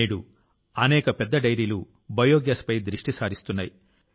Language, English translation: Telugu, Today many big dairies are focusing on biogas